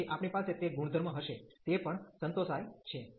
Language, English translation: Gujarati, So, we have that property also satisfy